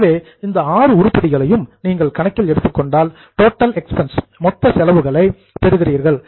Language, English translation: Tamil, So, after taking these six items you get total expense